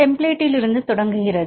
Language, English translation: Tamil, Starting from the template